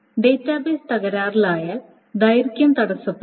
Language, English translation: Malayalam, So if the database crashes, the durability can be hampered